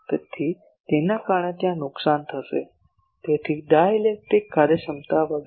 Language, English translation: Gujarati, So, due to that there will be the loss; so dielectric efficiency etc